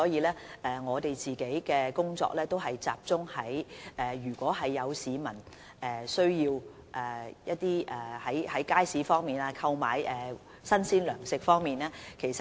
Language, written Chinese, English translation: Cantonese, 因此，我們的工作只能集中處理市民在街市購買新鮮糧食的需要。, Hence on our part we can only focus on addressing the peoples needs for purchasing fresh provisions